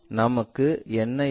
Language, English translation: Tamil, What we will have